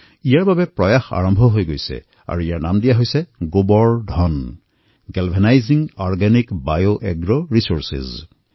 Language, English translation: Assamese, An effort was initiated which was named GOBARDhan Galvanizing Organic Bio Agro Resources